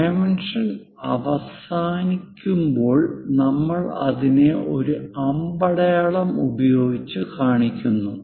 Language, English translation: Malayalam, When dimension is ending, we show it by arrow